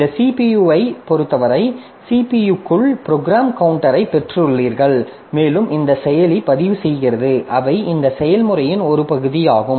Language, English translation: Tamil, So, apart from this CPU, as far as the CPU is concerned, so within the CPU we have got the program counter and this processor registers